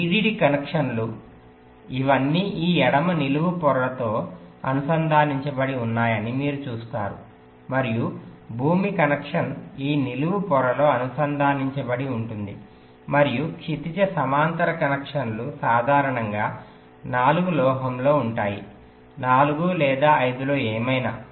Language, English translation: Telugu, you see that the vdd connections, they are all connected to this left vertical layer and the ground connection are connected to this vertical layer and the horizontal connections are typically on the in four, metal in four or in five, whatever, and in some places